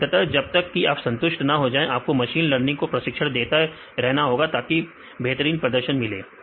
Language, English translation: Hindi, And finally, as long as your convinced you need to train this machine learning to get the highest performance